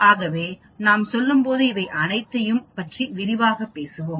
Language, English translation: Tamil, So we will talk about all these much more in detail as we go along